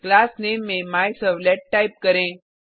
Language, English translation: Hindi, Type the Class Name as MyServlet